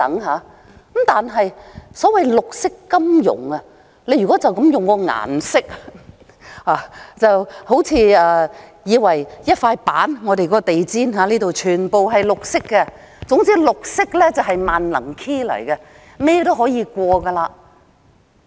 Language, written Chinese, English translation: Cantonese, 可是，所謂綠色金融，如果單從顏色來說，還以為是一塊板，或像我們的地毯般全是綠色，總之綠色便是"萬能 key"， 甚麼都可以。, However for green finance so to speak if we consider it simply from the colour we might associate it with a board or something entirely in green like this carpet here . Anyway green is like an image that can be photoshopped to serve all purposes